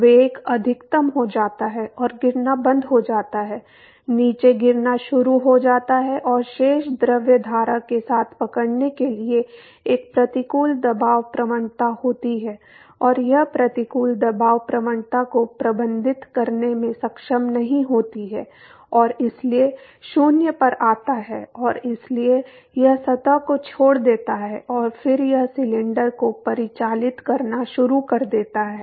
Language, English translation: Hindi, So, the velocity goes to a maximum and stops falling, starts falling down and there is an adverse pressure gradient in order to catch up with the rest of the fluid stream and it is not able to manage the adverse pressure gradient and therefore, the velocity comes to 0 and so, it leaves the surface and then it start circulating the cylinder